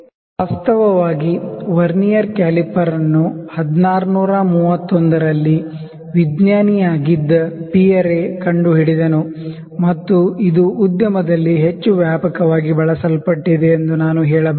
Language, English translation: Kannada, Actually Vernier caliper was invented in 1631 by Pierre Vernier, who was a scientist and this is the instrument which is I can say most widely used in the industry